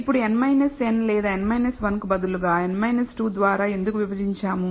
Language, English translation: Telugu, Now, why do we divide by n minus 2 instead of n minus n or n minus 1